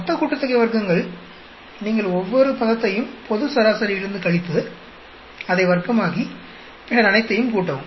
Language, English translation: Tamil, Total sum of squares, you subtract each one of the term with the global average, square it up, then add whole lot